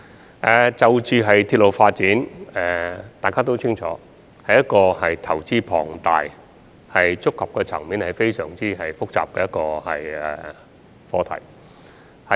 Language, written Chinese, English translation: Cantonese, 大家也清楚，鐵路發展是一個投資龐大且觸及層面非常複雜的課題。, As we all know railway development is a very complicated issue involving heavy investment